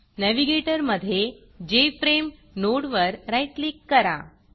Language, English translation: Marathi, And in the Navigator , right click the Jframe node